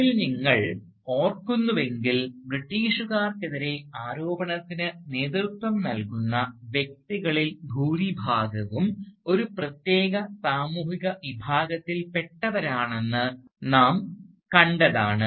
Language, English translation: Malayalam, If you remember, we had noted in those lectures, that most of the figures who lead the charge against the British belonged to a particular social class